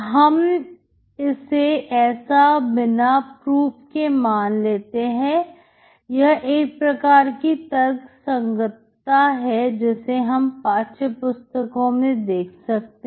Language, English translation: Hindi, So you can assume that without proof, it’s this kind of justification that you will see in the textbooks